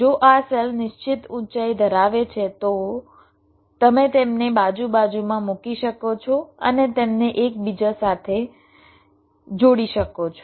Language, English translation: Gujarati, why, if this cells have fixed heights, you can put them side by side and joint them together